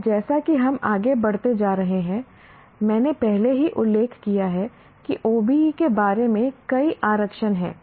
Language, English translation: Hindi, And as we were going through, I already mentioned there are many reservations about OBE